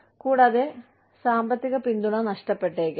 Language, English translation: Malayalam, And, for the grandmother, there could be loss of economic support